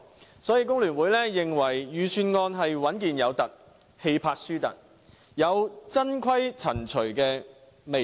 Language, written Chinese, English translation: Cantonese, 所以，香港工會聯合會認為，預算案是穩健"有凸"，氣魄"輸凸"，有"曾"規、"陳"隨的味道。, So The Hong Kong Federation of Trade Unions FTU considers that the Budget offers sufficient stability but lacks the needed audacity giving us an impression that Financial Secretary Paul CHAN is simply following the path of his predecessor